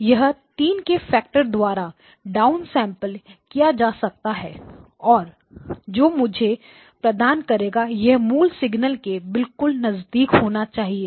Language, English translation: Hindi, This can also be down sampled by a factor of 3 and this should give me X2 tilde of n and these are hopefully very close to the original signals themselves